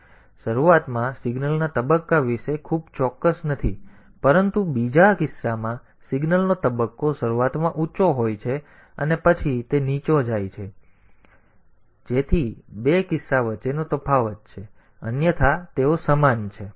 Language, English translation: Gujarati, So, we are not very sure about the phase of the signal at the beginning, but in the second case the phase of the signal is initially high and then it goes to low, so that way that the difference between the two cases; otherwise they are same